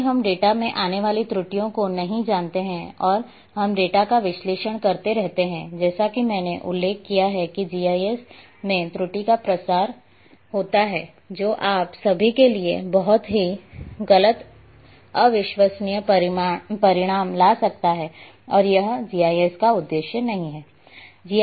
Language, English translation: Hindi, If we do not know the errors which are coming in the data and we keep analyzing the data, as I have mentioned error propagates in GIS and can bring all together highly erroneous unreliable results to you and that’s not the aim of GIS